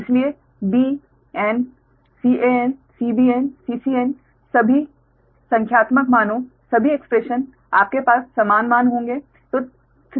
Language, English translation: Hindi, so b n, c, a, n, c, b n, c, c, n, all the values numerical, all the expression, you will have the same values, right